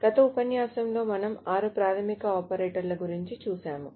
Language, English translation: Telugu, So, last time we saw six basic operators